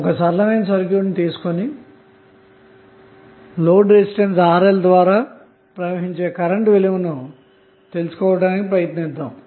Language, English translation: Telugu, Let us take one simple circuit and we will try to find out the value of current flowing through the load Resistance RL